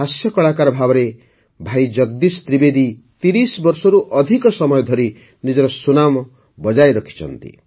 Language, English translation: Odia, As a comedian, Bhai Jagdish Trivedi ji has maintained his influence for more than 30 years